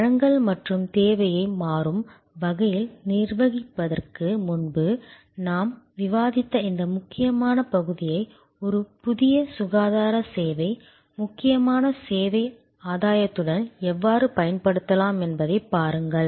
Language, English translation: Tamil, And see how this critical part that we have discuss before of managing supply and demand dynamically can be used for a new health care service, critical service gainfully